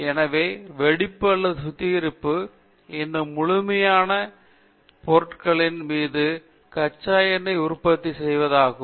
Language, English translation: Tamil, Therefore, the cracking or refining, refining means making the crude oil into those whole products